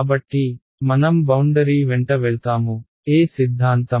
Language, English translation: Telugu, So, I want to go along the boundary so, which theorem